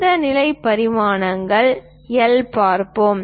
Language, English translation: Tamil, Let us look at this position dimensions L